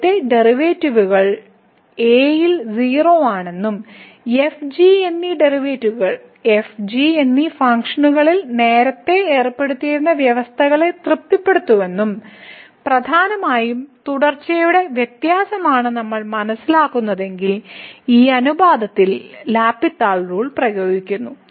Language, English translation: Malayalam, So, if we realize that the first derivatives are also at and the derivatives prime and prime they satisfy the conditions that were imposed earlier on functions and mainly the continuity differentiability then applying the L’Hospital’s rule to this ratio